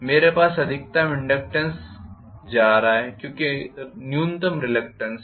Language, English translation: Hindi, I am going to have maximum inductance because minimum reluctance will be there